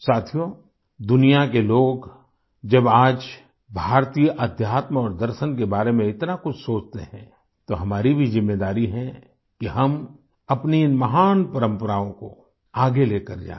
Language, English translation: Hindi, when the people of the world pay heed to Indian spiritual systems and philosophy today, then we also have a responsibility to carry forward these great traditions